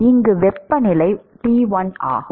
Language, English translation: Tamil, And the temperature here is T1